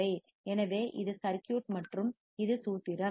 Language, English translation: Tamil, So, this is the circuit and this is the formula